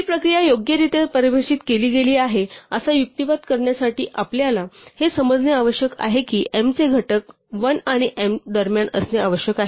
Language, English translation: Marathi, To argue that this process is well defined all we need to realize is that the factors of m must be between 1 and m